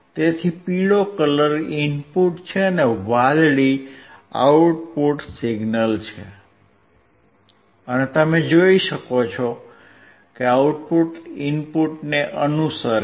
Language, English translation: Gujarati, So, yellow and blue are the input and output, and you can see that the output is following the input